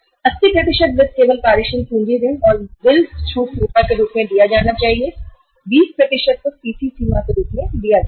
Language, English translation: Hindi, 80% of the finance should be given as working capital loan plus bill discounting facility only 20% can be given as a CC limit